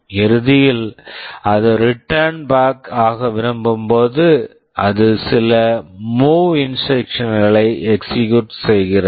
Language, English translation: Tamil, At the end when it wants to return back, it executes some MOV instruction